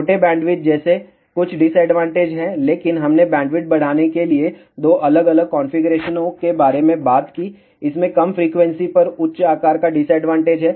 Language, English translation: Hindi, There are certain disadvantages such as small bandwidth, but we talked about 2 different configurations to increase the bandwidth, it has the disadvantage of higher size at lower frequency